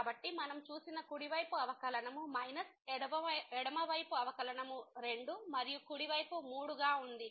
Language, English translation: Telugu, So, the right side derivative which we have just seen was minus the left side derivative so was 2 and the right side was 3